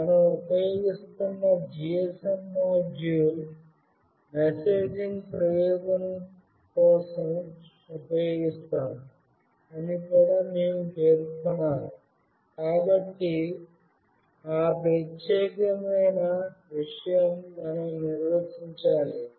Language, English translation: Telugu, We have to also specify that the GSM module that we are using, we will be using it for messaging purpose, so that particular thing we have to define it